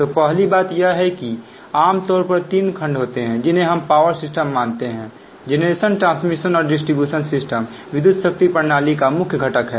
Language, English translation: Hindi, first thing is generally there are three section we consider in power system: generation, transmission and distributions system are the main components of an electric power system